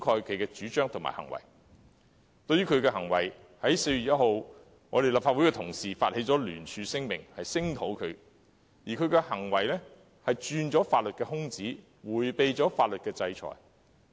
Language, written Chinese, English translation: Cantonese, 針對他的行為，立法會同事於4月1日發起聯署聲明，聲討他的行為不但鑽法律空子，而且迴避法律制裁。, Having regard to his conduct Honourable colleagues in this Council initiated a joint declaration on 1 April to denounce him for not only exploiting loopholes in the law but also evading legal sanctions